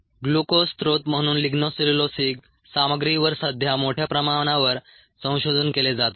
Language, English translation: Marathi, ligno cellulosic materials are currently regresses heavily for ah has as a glucose ah source